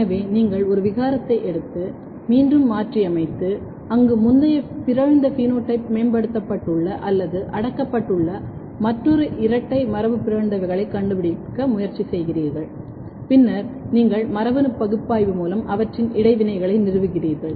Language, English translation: Tamil, So, you take a mutant and then again mutagenize and try to find another double mutants where either the previous mutant phenotype is enhanced or suppressed and then you establish their interaction through the genetic analysis